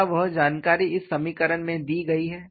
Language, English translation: Hindi, Is that information contained in this equation